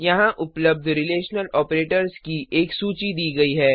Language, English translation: Hindi, Here is a list of the Relational operators available